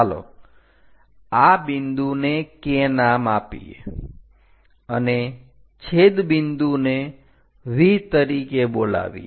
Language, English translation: Gujarati, Let us name this point K and the intersection point as V